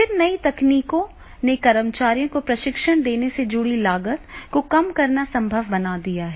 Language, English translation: Hindi, Then new technology have made it possible to reduce the costs associated with the delivering training to employees